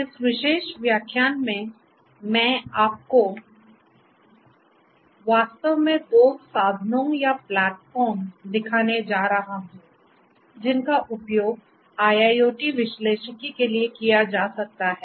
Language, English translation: Hindi, In this particular lecture, I am going to show you two tools platforms in fact, which could be used for IIoT analytics